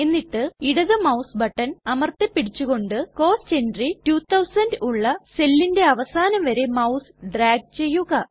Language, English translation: Malayalam, Now holding down the left mouse button, drag the mouse till the end of the cell which contains the cost entry, 2000